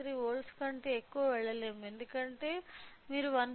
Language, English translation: Telugu, 3 volts because if you go more than 1